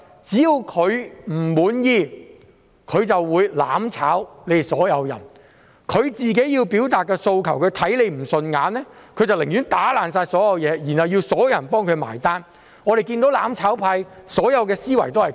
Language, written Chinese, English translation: Cantonese, 只要他們不滿意，他們便"攬炒"所有人，要表達訴求，視他人不順眼，寧願打破所有東西，然後要所有人替他買單——我們看到"攬炒派"的所有思維都是這樣。, They seek to burn together with everyone as long as they are dissatisfied . They would rather break everything and let everyone pay the bills as long as they want to express demands or find other people unacceptable